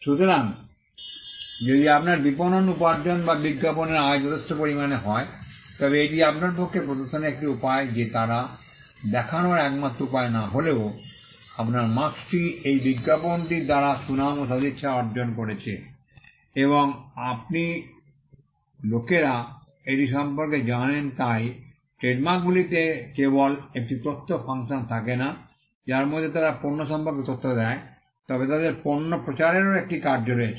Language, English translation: Bengali, So, if your marketing revenue or advertising revenue is substantial, that is a way for you to demonstrate though they would not be the only way to demonstrate that, your mark has attained a reputation and goodwill by the fact that, you have advertised it and people know about it So, trademarks have not only an information function, wherein they give information about the product, but they also have a function of promoting the product